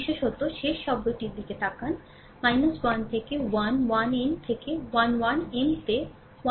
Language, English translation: Bengali, Particularly look at the last term, minus 1 to the power 1 plus n into a 1 n into M 1 n